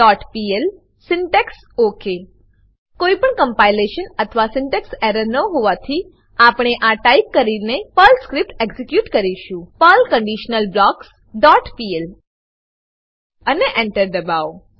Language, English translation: Gujarati, The following line will be displayed on the terminal window conditionalBlocks.pl syntax OK As there is no compilation or syntax error, we will execute the Perl script by typing perl conditionalBlocks dot pl and press Enter The following output will be shown on terminal